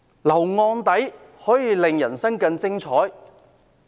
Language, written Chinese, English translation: Cantonese, 留案底可以令人生更精彩？, A criminal record will make ones life more exhilarating?